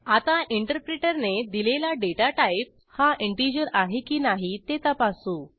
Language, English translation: Marathi, Lets check whether the datatype allotted by the interpreter is integer or not